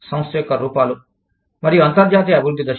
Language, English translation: Telugu, The firm's forms and stages of international development